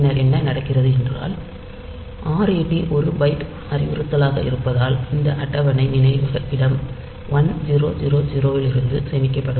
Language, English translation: Tamil, Then what happens is that since this ret is a 2 byte instruction, so this table will be stored from location 1000 sorry this ret is a is 1 byte instruction